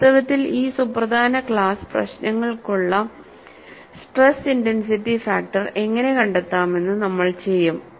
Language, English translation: Malayalam, In fact, we would do how to find out stress intensity factor for this important class of problems